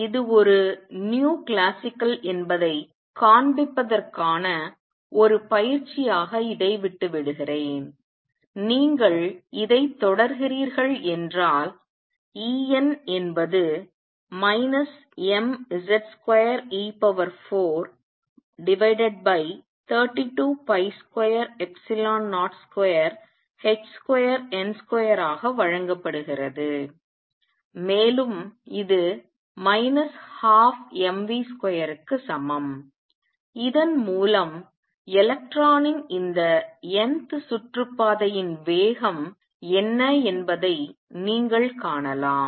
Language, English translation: Tamil, I leave it as an exercise for you to show that this is nu classical and this is how you proceed E n is given to be minus m z square e raise to 4 over 32 pi square epsilon 0 square h square n square and this is also equal to minus 1 half m v square from this, you can find what this speed of the electron in the nth orbit is